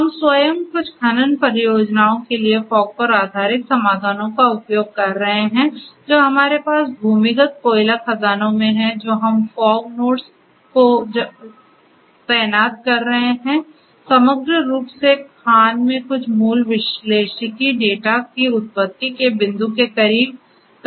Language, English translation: Hindi, We ourselves have been using fog based solutions for certain mining projects that we have in the underground coal mines we are deploying fog nodes fog architecture overall for doing some basic analytics in the mine itself right close to the point of origination of the data